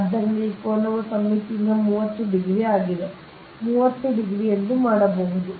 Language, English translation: Kannada, so this angle is thirty degree from the symmetry you can make it, this angle is thirty degree right